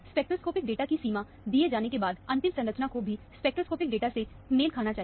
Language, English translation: Hindi, Once the range of spectroscopic data is given, the final structure should match all the spectroscopic data